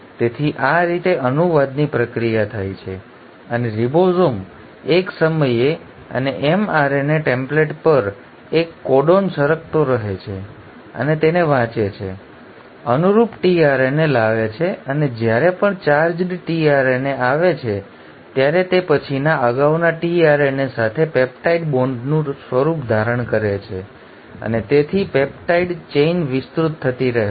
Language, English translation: Gujarati, So this is how the process of translation happens and the ribosome keeps sliding one codon at a time and along the mRNA template and reads it, brings in the corresponding tRNA and every time the charged tRNA comes, it then forms of peptide bond with the previous tRNA and hence the polypeptide chain keeps on getting elongated